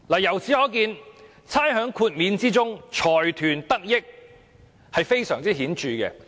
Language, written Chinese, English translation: Cantonese, 由此可見，財團得益非常顯著。, From this we can see the apparent benefits received by consortiums